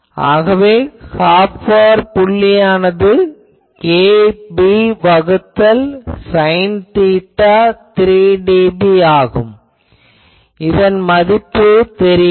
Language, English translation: Tamil, So, Half power point, point occurs when kb by 2 sin theta 3 dB; is anyone knows this value